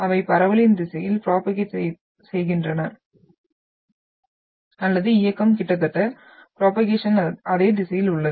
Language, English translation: Tamil, They propagate in the direction of propagation or the motion is almost like in the same direction of the propagation